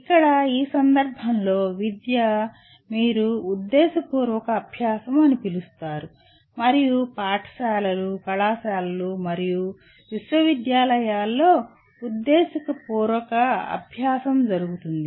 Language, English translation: Telugu, Here education in this context is concerned with what you call intentional learning, and intentional learning happens in schools, colleges and universities